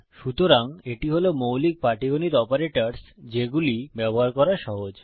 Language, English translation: Bengali, So, these are the basic arithmetic operators which are simple to use